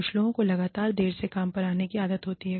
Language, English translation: Hindi, Some people are constantly in the habit of, coming to work late